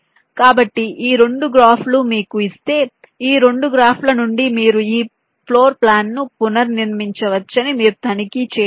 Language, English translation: Telugu, so these two graphs, you, you can check that if you are given these two graphs, from these two graphs you can reconstruct this floor plan